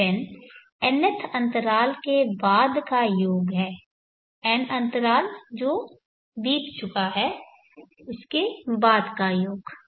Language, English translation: Hindi, Sn is sum of the nth interval of time that as elapsed